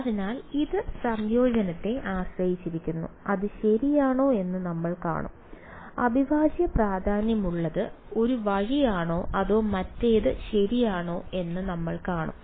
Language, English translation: Malayalam, So, it depends on the integrand we will see whether it depends right, we will see whether the integral matters one way or the other right